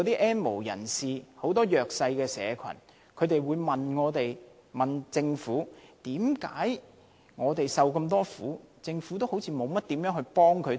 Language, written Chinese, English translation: Cantonese, "N 無人士"和弱勢社群質疑，他們受了那麼多苦，為何政府似乎沒有措施幫助他們？, The N have - nots and the disadvantaged query why the Government has not proposed any measures to help them get out of their predicaments